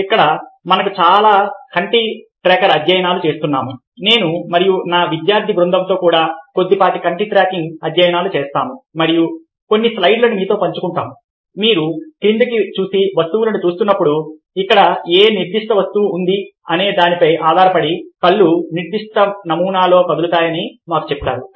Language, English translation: Telugu, now we do a lot eye tracker studies even i and some of my team of scholars to a little bit of eye technique studies and we will show, share some of the slides with you: ah, as you look down and ah, look at the material which tell us that, ah, the eyes move in specific pattern depending on which particular object is there